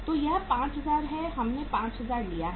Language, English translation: Hindi, So this is 5000 we have taken 5000